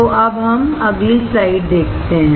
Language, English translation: Hindi, So, let us see the next slide